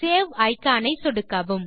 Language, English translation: Tamil, Click the Save icon